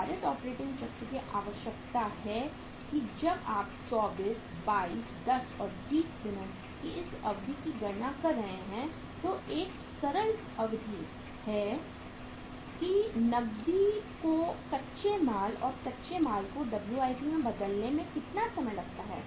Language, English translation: Hindi, The weighted operating cycle requires that when you are calculating this duration of 24, 22, 10, and 20 days it is the simple duration that how much time it takes to convert the cash into raw material and raw material into WIP